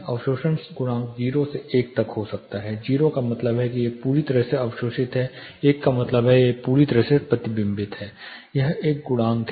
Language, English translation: Hindi, The absorption coefficient ranges from 0 to 1 means it is perfectly observing, one is totally reflecting it is a coefficient